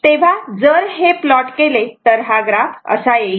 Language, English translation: Marathi, So, if you plot this, if you plot this it graph will come like this